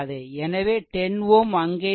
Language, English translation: Tamil, So, 10 ohm will be here right